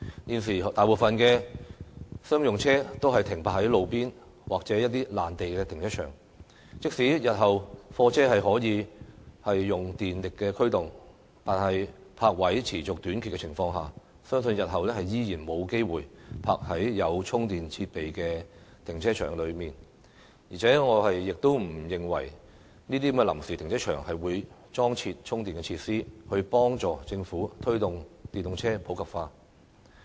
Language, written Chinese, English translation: Cantonese, 現時大部分商用車也停泊在路邊或一些臨時停車場，即使日後貨車可以用電力驅動，但在泊位持續短缺的情況下，相信日後依然沒有機會停泊在有充電設備的停車場；而且我亦不認為臨時停車場會裝設充電設施，協助政府推動電動車普及化。, At present most commercial vehicles are parked at the roadside or in some temporary car parks . Even if goods vehicles can be propelled solely by electric power in the future they probably do not have the opportunity to park in car parks with charging facilities . And I also do not believe that those temporary car parks would install charging facilities to help the Government promote the popularization of EVs